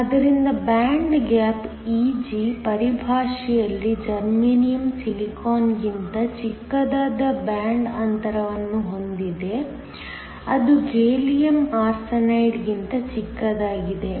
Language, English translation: Kannada, So, in terms of band gap Eg, Germanium has a smaller band gap than Silicon which is smaller than Gallium Arsenide